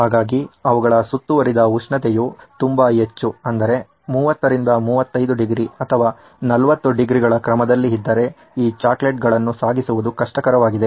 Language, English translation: Kannada, So if their ambient temperature is very very high, say in the order of 30 35 degrees or 40 degrees it’s going to be very difficult transporting these chocolates